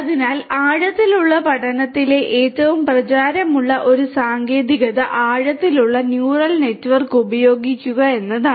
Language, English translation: Malayalam, So, one of the very popular techniques in deep learning is to use deep neural network